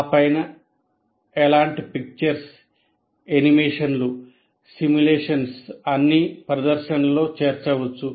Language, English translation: Telugu, And on top of that, any kind of still pictures, animations, simulations can all be included in the presentation